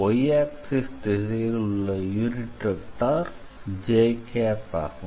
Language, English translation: Tamil, So, j is the unit vector along the x is y